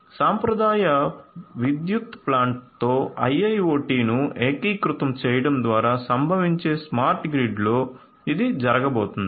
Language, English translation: Telugu, So, in a smart grid which is going to result in through the integration of IIoT with the traditional power plant this is what is going to happen